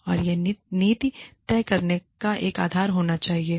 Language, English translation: Hindi, And, that should be a basis for, deciding the policy